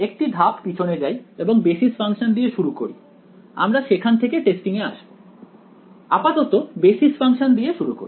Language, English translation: Bengali, Let us start let us take one step back let us start with the basis functions we will come to testing like, say let us start with the basis functions